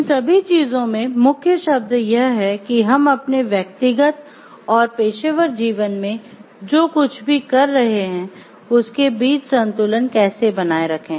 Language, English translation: Hindi, So, these the key word in all these things are how to maintain a balance between whatever we are doing in our personal and professional life